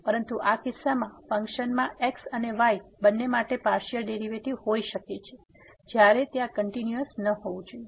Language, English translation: Gujarati, But in this case a function can have partial derivatives with respect to both and at a point without being continuous there